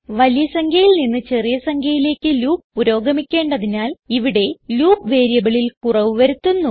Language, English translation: Malayalam, Since we are looping from a bigger number to a smaller number, we decrement the loop variable